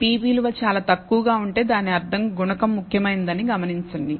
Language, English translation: Telugu, And notice if the p value is very low it means that this coefficient is significant